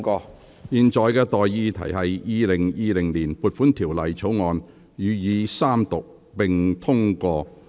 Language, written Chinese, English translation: Cantonese, 我現在向各位提出的待議議題是：《2020年撥款條例草案》予以三讀並通過。, I now propose the question to you and that is That the Appropriation Bill 2020 be read the Third time and do pass